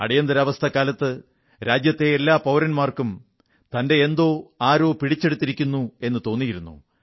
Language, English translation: Malayalam, During Emergency, every citizen of the country had started getting the feeling that something that belonged to him had been snatched away